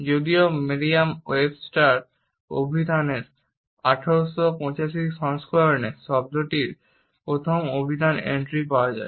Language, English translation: Bengali, Though the first dictionary entry of the term is found in the 1885 edition of Merriam Webster dictionary